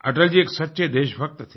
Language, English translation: Hindi, Atalji was a true patriot